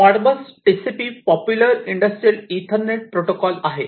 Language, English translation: Marathi, Modbus TCP is a very popular industrial Ethernet protocol